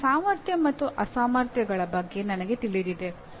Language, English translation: Kannada, Now, I am aware of my abilities as well as inabilities